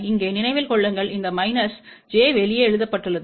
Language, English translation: Tamil, Remember here this minus j is written outside